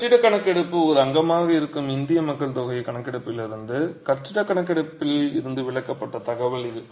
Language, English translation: Tamil, And this is information that's been pulled out of the building census from the census from the census of India in which the building census is a component